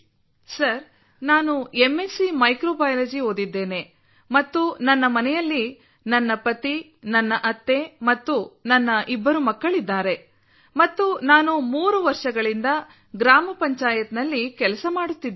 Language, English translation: Kannada, Sir, I am MSC Microbiology and at home I have my husband, my motherinlaw and my two children and I have been working in my Gram Panchayat for three years